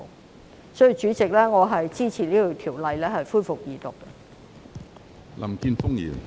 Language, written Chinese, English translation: Cantonese, 有鑒於此，主席，我支持《條例草案》恢復二讀。, With these remarks President I support the resumption of Second Reading of the Bill